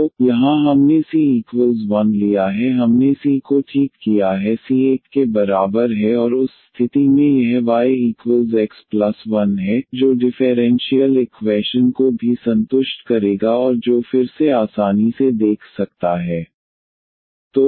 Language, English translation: Hindi, So, here we taken the c is equal to 1 we have fix the c is equal to 1 and in that case this y is equal to x plus 1, that will also satisfy the differential equation and which can again one can easily see